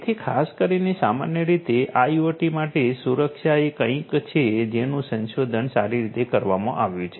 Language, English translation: Gujarati, So, security for IT particularly in general is something that has been well researched